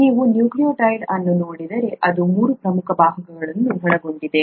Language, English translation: Kannada, If you look at a nucleotide, it consists of three major parts